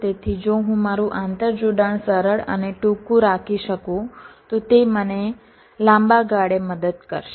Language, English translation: Gujarati, so if i can keep my interconnection simple and short, it will help me in the long run